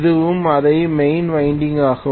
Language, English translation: Tamil, This is also the same main winding